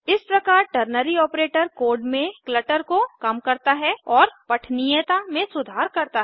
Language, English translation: Hindi, This way, ternary operator reduces clutter in the code and improves readability